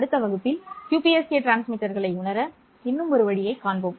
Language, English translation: Tamil, We will see one more way of realizing QPSK transmitter in the next, you know, and